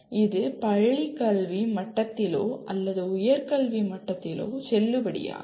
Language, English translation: Tamil, This is valid at school education level or at higher education level